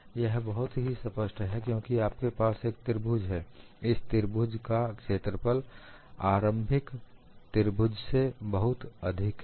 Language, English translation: Hindi, It is very obvious, because you have this triangle; this triangle area is much larger than the initial triangle